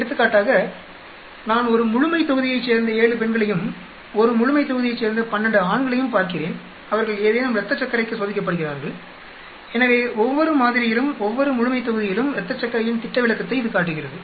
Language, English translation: Tamil, For example, I am looking at 7 women from a population and 12 men from a population, they are tested for something blood glucose for example, so it shows you the standard deviation of the blood glucose in each sample and in each population